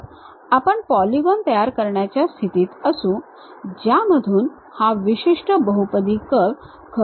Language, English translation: Marathi, So, that we will be in a position to construct a polygons, through which this particular polynomial curve really passes